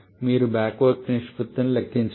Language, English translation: Telugu, You have to calculate the back work ratio